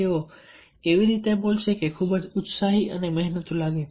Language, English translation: Gujarati, they speak in such a way that people feel very enthusiastic and energetic